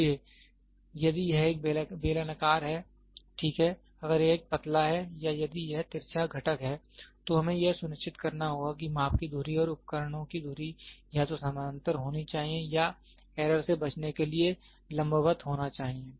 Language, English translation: Hindi, So, if it is a cylindrical one is, ok, if it is a tapered one or if it is of skewed component, then we have to sure the measuring axis and the axis of the instruments should either be parallel or perpendicular to avoid error in measurement